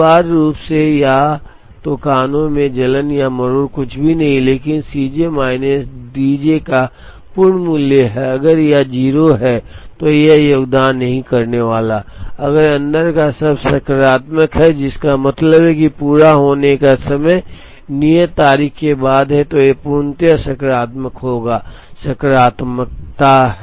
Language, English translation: Hindi, So, essentially either earliness or tardiness is nothing but the absolute value of C j minus D j, if it is 0, it is not going to contribute, if the term inside is positive, which means completion time is after the due date, then it is tardiness the absolute value will be positive